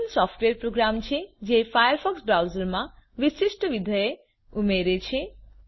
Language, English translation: Gujarati, Plug ins integrate third party programs into the firefox browser